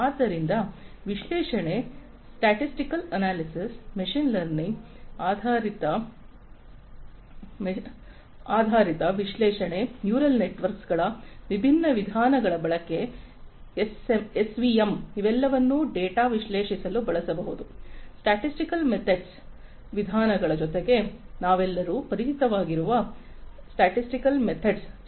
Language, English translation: Kannada, So, analytics, statistical analytics, machine learning based analytics, use of different methods you know neural networks, SVM, etcetera, you know, all of these could be used to analyze the data, in addition to the statistical methods the multivariate statistical methods that we are all familiar with